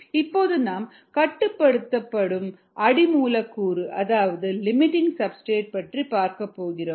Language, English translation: Tamil, now we need to look at something called a limiting substrate